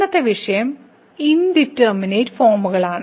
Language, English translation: Malayalam, and today’s topic is Indeterminate Forms